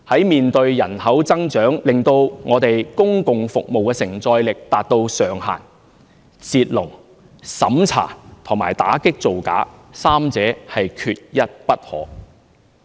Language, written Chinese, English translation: Cantonese, 面對人口增長令我們公共服務的承載力達至上限時，"截龍"、審查和打擊造假，三者缺一不可。, As the local capacity of our public services has reached its upper limit due to the population growth the efforts on stopping the queue vetting and combating immigration frauds are indispensable